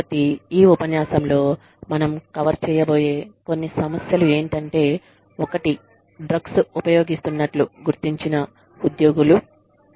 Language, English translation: Telugu, So, some of the issues, that we will be covering in this lecture are, one is employees, that have been found to have, been using drugs